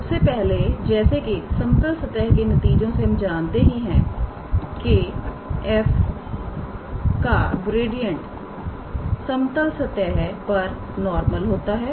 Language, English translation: Hindi, First of all from the results on a level surfaces we know that gradient of f is a normal to this level surface